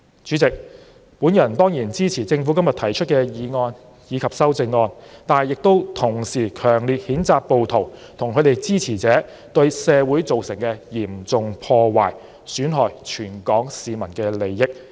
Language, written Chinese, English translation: Cantonese, 主席，我當然支持政府今天提出的《2019年稅務條例草案》及修正案，同時亦強烈譴責暴徒及其支持者對社會造成的嚴重破壞，損害全港市民的利益。, President I certainly support the Inland Revenue Amendment Bill 2019 and the amendments proposed by the Government today . Meanwhile I strongly condemn the rioters and their supporters for the serious damages they have done to society which injure the interests of all people in Hong Kong